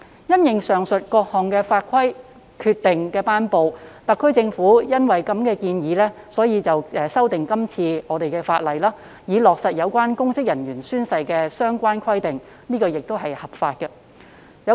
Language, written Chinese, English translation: Cantonese, 因應上述各項法規及決定的頒布，特區政府建議修訂法例，以落實有關公職人員宣誓的相關規定，這亦是合法的。, In light of the promulgation of the above mentioned laws and decisions the Government proposes legislative amendments to implement the relevant requirements on oath taking by public officers which is lawful